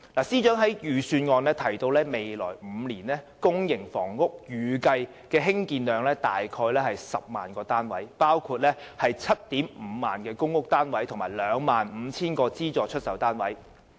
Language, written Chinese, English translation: Cantonese, 司長在預算案中提到，未來5年公營房屋單位的興建量預計約為 100,000 個，包括 75,000 個公屋單位及 25,000 個資助出售單位。, As stated by the Financial Secretary in the Budget the estimated public housing production for the next five years is about 100 000 units of which about 75 000 are PRH units and 25 000 subsidized sale flats